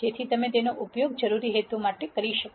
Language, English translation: Gujarati, So that you can use it for purposes needed